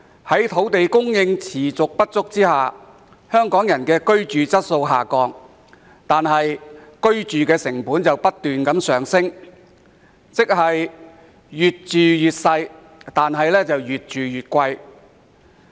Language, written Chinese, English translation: Cantonese, 由於土地供應持續不足，香港人的居住質素一直下降，但居住成本卻不斷上升，即是越住越細、越住越貴。, Due to the prolonged shortage of land supply the quality of Hong Kong peoples living environment has been declining whereas housing costs have been on the rise which means that people are paying more for a smaller flat